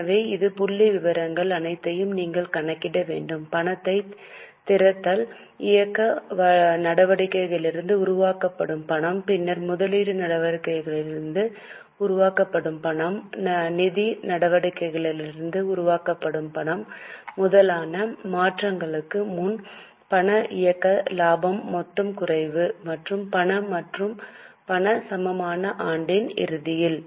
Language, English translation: Tamil, So, you are required to calculate all these figures, opening cash, the cash generated from operating activities, then cash generated from operating activities then cash generated from investing activities cash generated from financing activities total decrease of cash operating profit before working capital changes and cash and cash equivalent at the end of the year now how will you do all the things It is possible because cash at the end of the year is you can take it from balance sheet